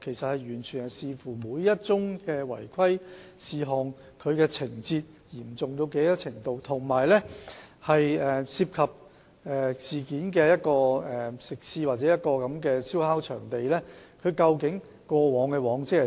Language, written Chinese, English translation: Cantonese, 這完全視乎每宗違規事件的情況有多嚴重，以及事件涉及的食肆或燒烤場地的往績為何。, This entirely depends on the gravity of the irregularity in each case and the track record of the food establishment or barbecue site involved in the case